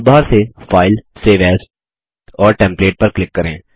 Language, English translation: Hindi, From the toolbar, click File, Save As and File